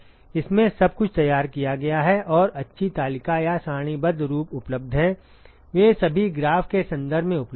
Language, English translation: Hindi, It has all it has all been worked out and nice table or tabular forms are available, they are all available in terms of graph